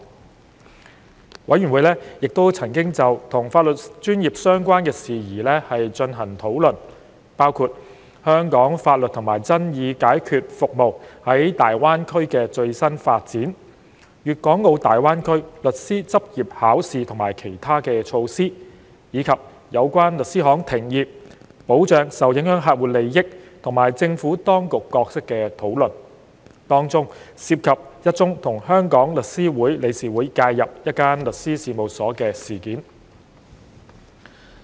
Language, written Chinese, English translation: Cantonese, 事務委員會亦曾就與法律專業相關的事宜進行討論，包括香港法律及爭議解決服務在大灣區的最新發展、粵港澳大灣區律師執業考試及其他措施，以及有關律師行停業、保障受影響客戶利益及政府當局角色的討論，當中涉及一宗與香港律師會理事會介入一間律師事務所的事件。, The Panel also discussed issues relating to the legal profession including recent developments for Hong Kongs legal and dispute resolution services in the Greater Bay Area the Greater Bay Area Legal Professional Examination and other initiatives . Meanwhile during the discussion of the cessation of law firms practices protection of affected clients interests and the role of the Administration the Panel covered a case in which a law firms practices were intervened by the Council of The Law Society of Hong Kong